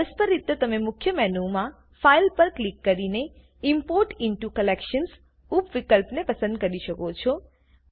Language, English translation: Gujarati, Alternately, you can click on File in the Main Menu and choose the Import into Collections sub option